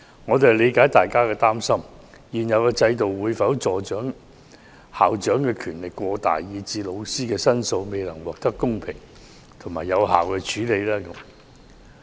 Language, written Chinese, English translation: Cantonese, 我們理解，大家擔心現有制度會否令校長權力過大，以致老師的申訴未能獲得公平有效處理。, We understand that there are worries about whether the existing system will give the school principals excessive powers so that the teachers complaints will not be handled fairly and effectively